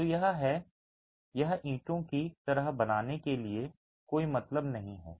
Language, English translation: Hindi, So it is, it doesn't make sense to create bricks like that